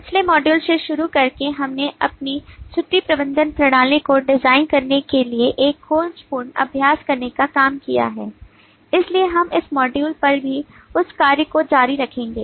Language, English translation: Hindi, starting from the last module we have taken up the task of doing an exploratory exercise to design our leave management system